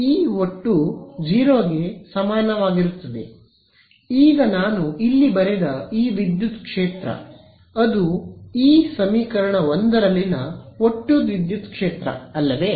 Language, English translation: Kannada, Right, E total is equal to 0 right; now this electric field that I have written over here is it the total electric field in this equation 1, is it